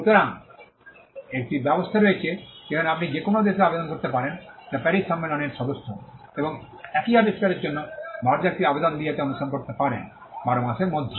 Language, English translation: Bengali, So, this is in arrangement, where you can file an application in any country, which is a member of the Paris convention and follow it up with an application in India for the same invention, within a period of 12 months